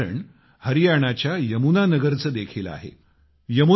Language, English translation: Marathi, There is a similar example too from Yamuna Nagar, Haryana